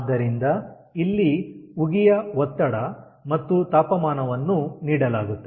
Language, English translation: Kannada, so here the pressure and temperature of the steam is given